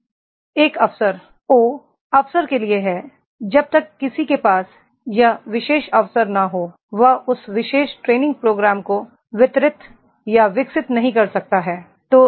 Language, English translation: Hindi, An opportunity, O is for the opportunity, unless and until one does not have that particular opportunity he cannot deliver or develop that particular training program